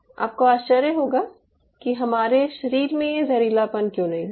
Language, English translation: Hindi, now we might wonder how in our body that toxicity doesnt happen